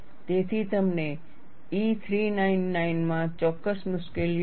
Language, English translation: Gujarati, So, you have certain difficulties in E 399